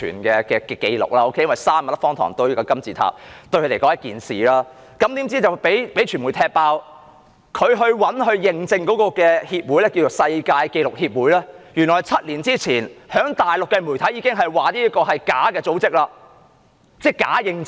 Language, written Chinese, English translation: Cantonese, 用3萬粒方糖堆出一個金字塔，對他們來說是一件大事，怎料被傳媒"踢爆"，當局找來認證的協會，稱為世界紀錄協會，原來7年前已被大陸媒體揭發是個假組織，提供假認證。, Building a pyramid with 30 000 sugar cubes is a big deal to them . But unfortunately the media revealed that the association from which the Bureau sought accreditation the World Record Association had been exposed by the Mainland media seven years ago as a fake organization which provided fake accreditation